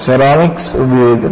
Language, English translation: Malayalam, And, ceramics are being used